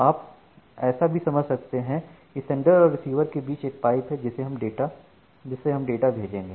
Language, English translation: Hindi, So, you can think of that we have a pipe between the sender and the receiver through which you are sending data